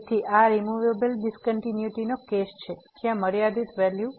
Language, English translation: Gujarati, So, this is the case of the removable discontinuity where the limiting value